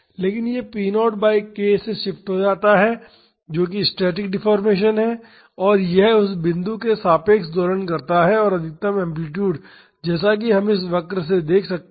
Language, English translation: Hindi, But, it shifts by p naught by k, that is the static deformation and it oscillates about that position and the maximum amplitude as we can see from this curve is 2 p naught by k